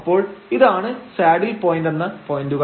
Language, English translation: Malayalam, So, these are the points called saddle points